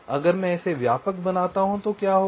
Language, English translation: Hindi, so if i make it wider, what will happen